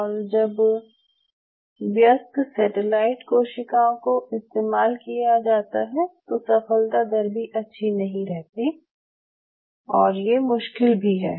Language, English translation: Hindi, And again when you grow it from the adult satellite cells your success rate is not that easy, it is kind of tricky